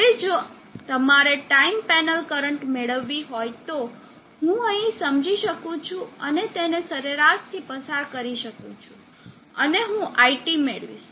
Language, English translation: Gujarati, Now if you have to get the time panel current, I can sense here and pass it through an average and I will get IT